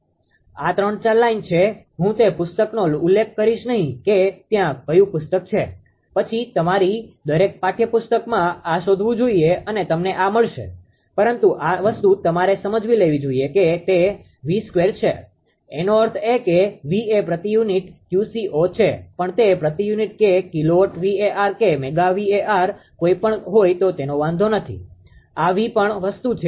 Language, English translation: Gujarati, This is 3 4 lines I will not mention the book which book is there then you should find out every every textbook will find this right, but this thing you have to understand that it is V square; that means, per unit V is per unit Q c 0 also per unit it does not matter even if per unit or even kilowatt it does not matter this V is also this thing